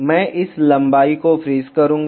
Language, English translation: Hindi, I will freeze to this length